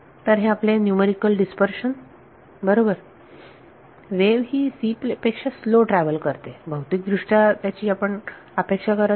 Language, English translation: Marathi, So, this is your numerical dispersion right; so, so the wave travels slower than c which we do not physically expect